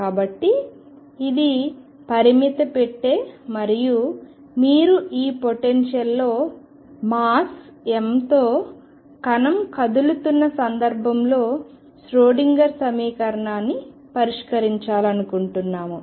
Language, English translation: Telugu, So, this is the finite box and you want to solve the Schrodinger equation for a particle of mass move m moving in this potential